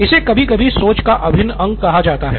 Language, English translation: Hindi, This is sometimes called the divergent part of thinking